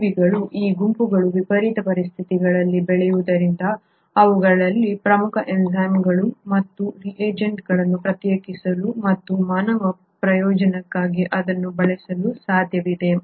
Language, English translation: Kannada, So given that these groups of organisms grow under extreme conditions it is possible to isolate important enzymes and reagents from them and use it for the human benefit